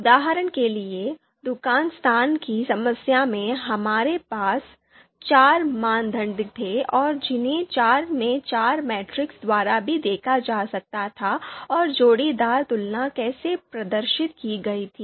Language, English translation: Hindi, So for example, you know shop location case that we discussed we had four criteria and you can see this is four by four matrix and how the pairwise comparisons they have been you know displayed here